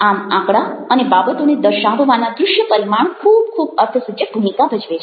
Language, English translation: Gujarati, and this is where the visual dimension of displaying statistics and things like that play very significant role